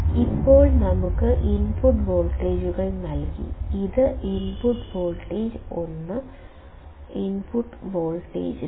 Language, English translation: Malayalam, Now, we have being given the input voltages; this is input voltage 1, input voltage 2